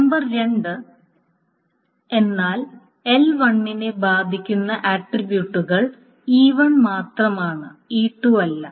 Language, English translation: Malayalam, Number two is that L1 attributes, L1 concerns itself with only E1 and not E2